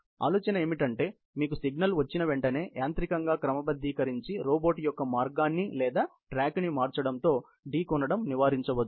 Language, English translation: Telugu, As soon as you get a signal, the idea is to sort of mechanically, change the path or the track of the robot, to avoid collisions